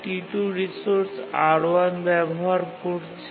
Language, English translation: Bengali, Now let's look at the resource R2